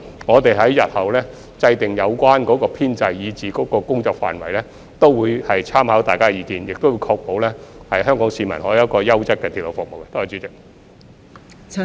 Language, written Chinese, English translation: Cantonese, 我們日後制訂有關編制和工作範圍時，也會參考大家的意見，並會確保香港市民可享有優質的鐵路服務。, In formulating the relevant establishment and scope of work in future we will take into account Members views and will ensure that the people of Hong Kong can enjoy quality railway services